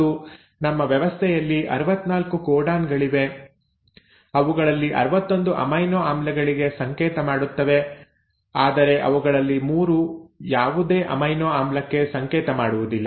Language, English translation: Kannada, And there are 64 codons in our system out of which, 61 of them code for amino acids, while 3 of them do not code for any amino acid